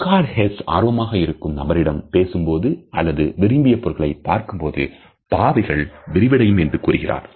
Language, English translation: Tamil, Eckhard Hess commented that pupil dilates when we are interested in the person we are talking to or the object we are looking at